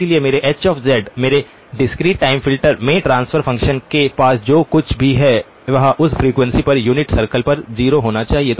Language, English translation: Hindi, So my H of z, my discrete time filter’s transfer function must have whatever else it has it must have a 0 on the unit circle at that frequency